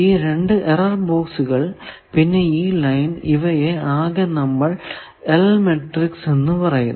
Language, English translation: Malayalam, This whole, this two error box is and this line together that we are will designate as an L matrix